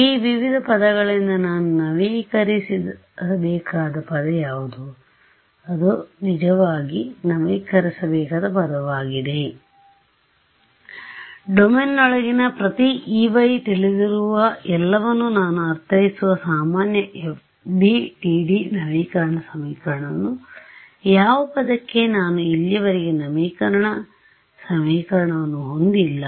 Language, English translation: Kannada, What is the term that I need to update from these various terms which is the term that I really need to update which I do not know I mean everything else I know for every E y inside the domain I have my usual FDTD update equation for what term I do I do not have an update equation so far